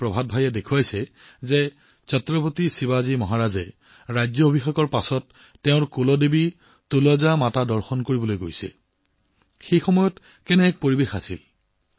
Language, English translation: Assamese, Artist Prabhat Bhai had depicted that Chhatrapati Shivaji Maharaj was going to visit his Kuldevi 'Tulja Mata' after the coronation, and what the atmosphere there at that time was